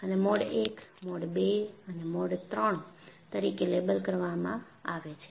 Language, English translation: Gujarati, And, these are labeled as Mode I, Mode II and Mode III